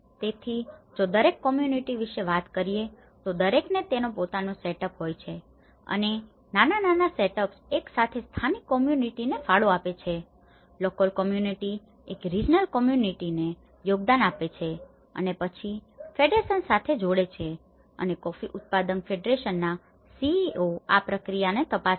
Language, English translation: Gujarati, So, that is where we are talking about each community have their own setup and these smaller setups contribute a local community, the local community contributes a regional committee and then adding with the federation and that is where coffee grower’s federation CEO who looks into the overall process